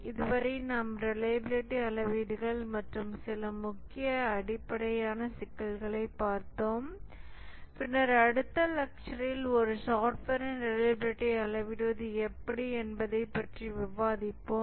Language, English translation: Tamil, So far we have looked at the reliability matrix and some very basic issues and then in the next lecture we will discuss about how to go about measuring the reliability of a software